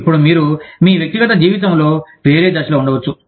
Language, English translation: Telugu, Now, you may be at a different stage, in your personal life